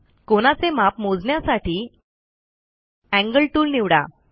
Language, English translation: Marathi, To measure the angle, click on the Angle tool